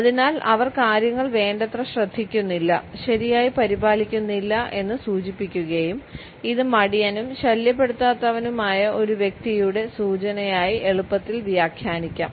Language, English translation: Malayalam, So, we send the message that we do not care about them enough to maintain them properly and this can be easily interpreted as an indication of a person who is lazy and cannot be bothered